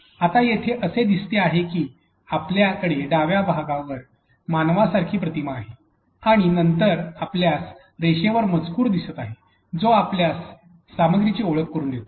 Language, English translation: Marathi, Now, the page itself looks like you have an a human like image on the left part and then you have text on the line that introduces you to the cause of the content itself